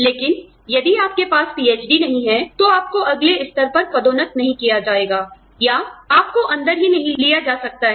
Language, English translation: Hindi, But, if you do not have a PhD, you will not be promoted to the next level, or, you may not even be taken in